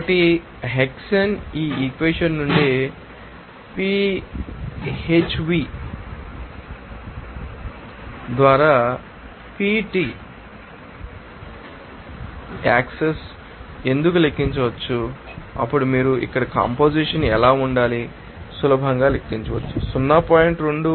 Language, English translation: Telugu, so hexane why hexane can be calculated from this you know, equation here PHv access by PT, then you can easily calculate what should be the composition here it is coming 0